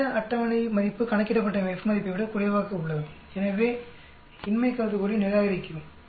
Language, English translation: Tamil, This table value is less than F value calculated so we reject the null hypothesis